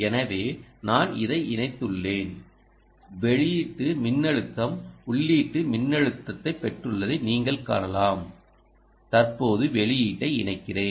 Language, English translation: Tamil, ok, so i have connected across this and you can see that you got that output voltage, ah, input voltage